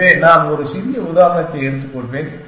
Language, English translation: Tamil, So, I will just take a smaller example